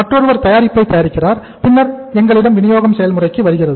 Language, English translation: Tamil, Somebody else manufactures the product and then we have the distribution process